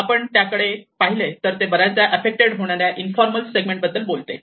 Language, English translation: Marathi, And if you look at it, it talks about the informal settlements which are often tend to be affected